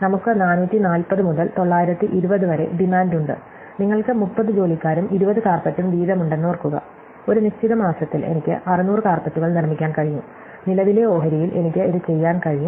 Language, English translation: Malayalam, So, we have a range of demand from 440 to 920, so remember that you have 30 employees and 20 carpets each, I can make 600 carpets in a given month, this is what I can do with current stake